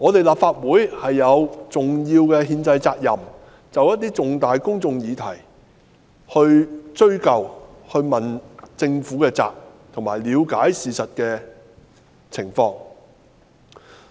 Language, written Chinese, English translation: Cantonese, 立法會有重要的憲制責任，就涉及重大公眾利益的議題加以追究，並向政府問責及了解事情的實況。, The Legislative Council has the important constitutional duty of pursuing accountability for issues concerning significant public interest . It should also demand accountability on the part of the Government and examine the actual facts of the issues in question